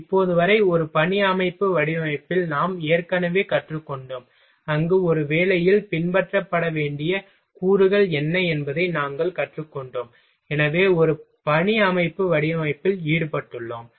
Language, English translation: Tamil, Till now, we have already learned through in a work system design, where we learnt what are the elements to be followed in a work, so involved in a work system design